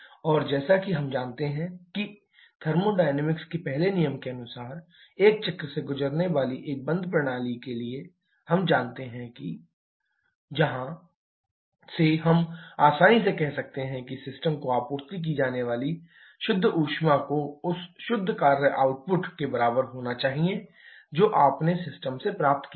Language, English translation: Hindi, And as we know that, as per the first law of thermodynamics, for a closed system undergoing a cycle we know that the cyclic integral of del q is equal to cyclic integral of del w from where we can easily say that the net heat supplied to the system has to be equal to net work output that you have obtained from the system